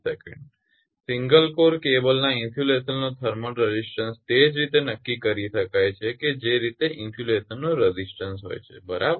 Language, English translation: Gujarati, The thermal resistance of the insulation of a single core cable it can be determined exactly in the same way the as the insulation your resistance right